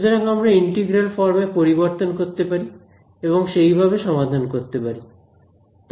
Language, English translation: Bengali, So, we can convert it to integral form and solve it that way as well right